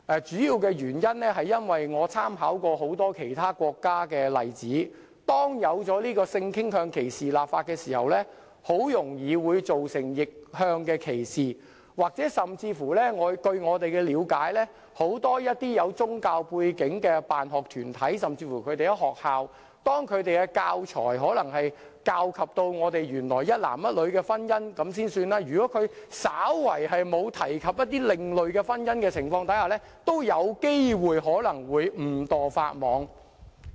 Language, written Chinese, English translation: Cantonese, 主要原因是，我曾參考其他國家的多個例子，發現就性傾向歧視立法後，很容易會造成逆向歧視；甚或據我們的了解，要是很多有宗教背景的辦學團體，甚至學校，在使用教材講述有關性傾向的內容時，以一男一女的婚姻為例，如果稍為沒有提及某些另類婚姻的情況，也有機會誤墮法網。, The main reason is that I have made reference to many examples in other countries and found that reverse discrimination can easily arise after legislation is enacted against discrimination on the ground of sexual orientation . What is more as far as we understand it when school sponsoring bodies with a religious background or even schools use teaching materials to explain issues relating to sexual orientation such as marriage between one man and one woman and if they slightly omitted some other forms of marriage there would be a chance for them to breach the law inadvertently